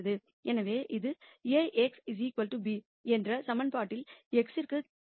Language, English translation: Tamil, So, this solves for x in the equation A x equal to b